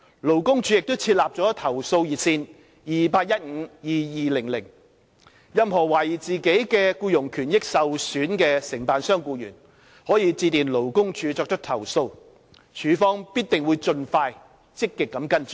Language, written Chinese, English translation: Cantonese, 勞工處亦設立了投訴熱線 2815,2200， 任何懷疑自己僱傭權益受損的承辦商僱員，可致電勞工處作出投訴，處方必定會盡快積極跟進。, A complaint hotline 2815 2200 has also been set up by LD . Any contractors employees suspecting their employment interests are undermined may lodge complaints by calling LD . LD will definitely follow up their cases proactively and expeditiously